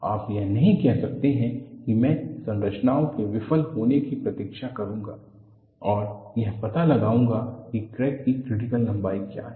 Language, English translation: Hindi, " you cannot say, I will wait for the structures to fail and find out what is the critical length of the crack